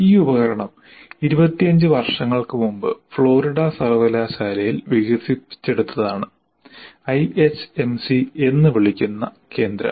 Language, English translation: Malayalam, And this tool has been developed more than 25 years ago at the University of Florida